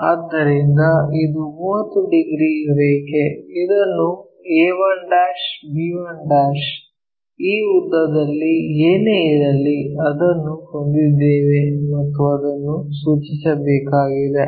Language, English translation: Kannada, So, 30 degrees line is this let us join it in that a 1', b 1' whatever this length we have this one that one has to be mapped